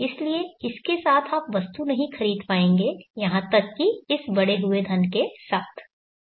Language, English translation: Hindi, So you will not be able to purchase the item with this even with this escalated money value